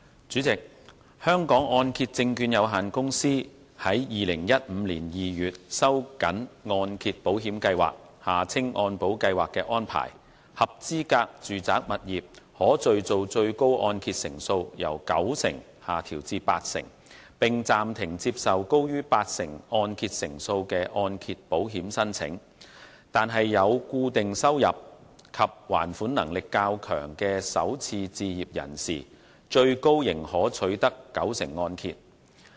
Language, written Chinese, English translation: Cantonese, 主席，香港按揭證券有限公司於2015年2月收緊按揭保險計劃的安排，合資格住宅物業可敘造最高按揭成數由九成下調至八成，並暫停接受高於八成按揭成數的按揭保險申請，但有固定收入及還款能力較強的首次置業人士最高仍可取得九成按揭。, President in February 2015 the Hong Kong Mortgage Corporation Limited tightened the arrangements under the Mortgage Insurance Programme MIP by reducing the maximum MIP coverage for eligible residential properties from 90 % loan - to - value LTV ratio to 80 % LTV ratio and suspending the acceptance of applications for mortgage loans exceeding 80 % LTV ratio . However those first - time home buyers with regular income and stronger repayment ability are still eligible for MIP coverage of 90 % LTV ratio